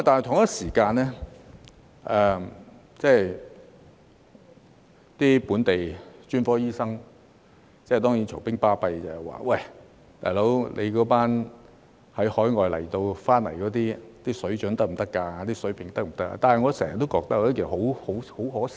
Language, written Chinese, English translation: Cantonese, 同一時間，本地專科醫生當然會吵吵嚷嚷，說海外返港醫生的水準及水平能否得到保證。, Meanwhile local specialist doctors will of course argue by questioning the standards and quality of the overseas doctors returning to Hong Kong